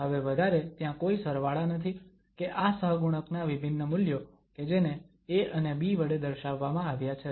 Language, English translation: Gujarati, There are no more summations there or the discrete values of these coefficients which were denoted by a's and b's